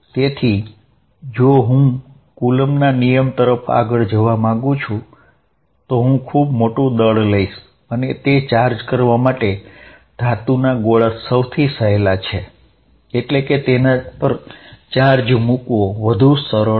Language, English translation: Gujarati, So, if I want to look at Coulomb's law I take too large masses and the easiest to charge are metallic spheres and put charge